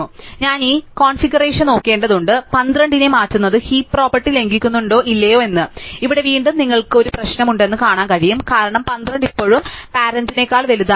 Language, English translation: Malayalam, So, I have to look at this configuration to see whether what I move the 12 into violates heap property or not and here again you can see that there is a problem because 12 is still bigger than its parent